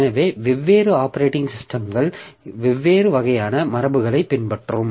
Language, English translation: Tamil, So, different operating systems so they will follow different type of conventions